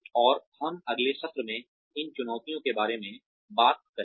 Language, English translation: Hindi, And, we will talk more about, these challenges in the next session